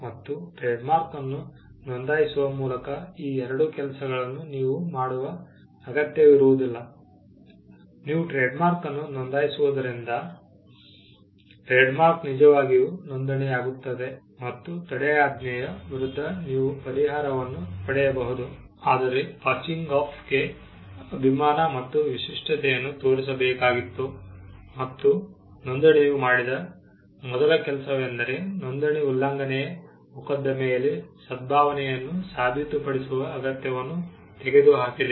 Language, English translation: Kannada, By registering a trade mark, there was no need for you to do these two things, you could just register the trade mark and the fact that, the trade mark is registered; you could get a relief against injunction, whereas passing off required you to show goodwill and distinctiveness and that was the first thing registration did, registration removed the need to prove goodwill in an infringement suit